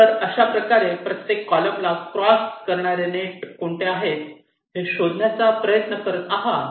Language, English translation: Marathi, ok, so in this way, along every column you try to find out which are the nets which are crossing that column